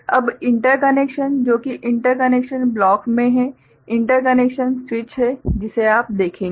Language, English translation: Hindi, Now, the interconnections which is in the interconnections blocks, the interconnections switches is, so that is you see ok